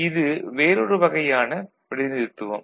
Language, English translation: Tamil, This is another representation